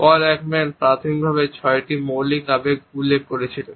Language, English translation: Bengali, Paul Ekman had initially referred to six basic emotions